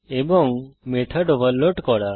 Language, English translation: Bengali, And to overload method